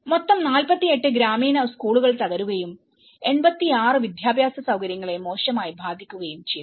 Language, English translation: Malayalam, In total 48 rural schools collapsed and 86 educational facilities were badly affected